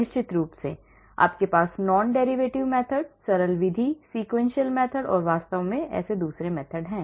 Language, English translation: Hindi, And of course, you have non derivative method, simplex method, sequential method and so on actually